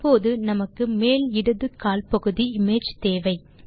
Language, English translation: Tamil, Now, we wish to obtain the top left quarter of the image